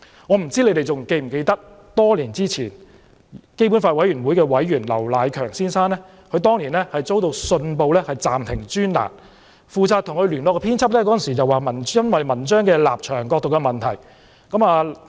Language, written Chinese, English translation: Cantonese, 我不知他們是否還記得，基本法委員會委員劉迺強先生多年前遭到《信報》暫停專欄，負責與他聯絡的編輯稱文章的立場、角度有問題。, I wonder whether they still remember that Mr LAU Nai - keung a member of the Committee for the Basic Law had his column suspended by the Hong Kong Economic Journal years ago . The editor responsible for liaising with Mr LAU said that there were problems with the stances and perspectives in his articles